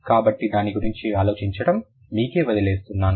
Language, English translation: Telugu, So, I leave it up to you to think about it